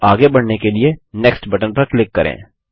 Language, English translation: Hindi, Now let us click on the Next button to proceed